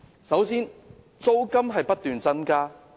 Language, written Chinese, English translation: Cantonese, 首先，租金不斷增加。, First the rent continues to rise